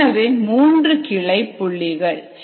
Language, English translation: Tamil, so these are the three branch points here